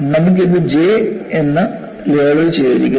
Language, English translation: Malayalam, So, you had this as, labeled as J